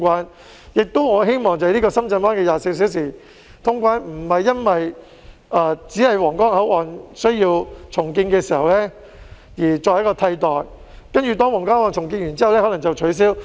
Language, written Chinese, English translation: Cantonese, 我亦希望深圳灣口岸24小時通關並非僅在皇崗口岸重建期間作為替代措施，重建完成後便予以取消。, It is also my hope that 24 - hour customs clearance at the Shenzhen Bay Port is not merely an alternative measure during the redevelopment of the Huanggang Port which will be revoked upon completion of the redevelopment